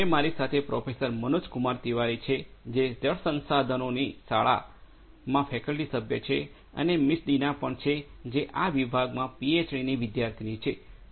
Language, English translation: Gujarati, So, I have with me Professor Manoj Kumar Tiwari, who is a faculty member in the school of water resources and also Miss Deena, who is a PhD student in this particular department